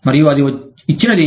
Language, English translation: Telugu, And, that is a given